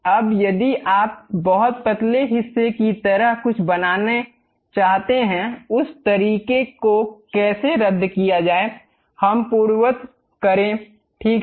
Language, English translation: Hindi, Now, if you want to construct something like a very thin portion; the way how to do that is cancel, let us undo that, ok